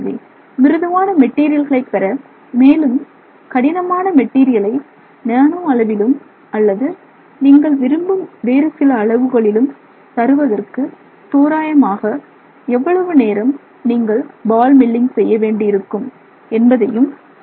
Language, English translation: Tamil, So they can tell you roughly how much time of ball milling you have to do for you to get both let's say the softer material as well as the harder material both in the nano scale and in some size range that is of interest you